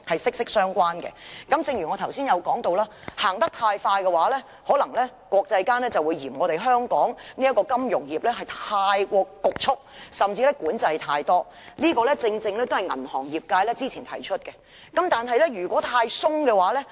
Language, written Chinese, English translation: Cantonese, 正如我剛才提到，如果我們走得太快，國際間可能會嫌香港金融業過於侷促，甚至管制太多，這正正也是銀行業界之前提出的疑慮。, As I said just now if we proceed with it too fast the financial services sector in Hong Kong may be shunned by the international community for being overly rigid and even imposing excessive control . This is exactly a worry expressed by the banking industry before